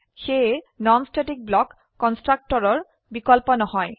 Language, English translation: Assamese, So non static block is not a substitute for constructor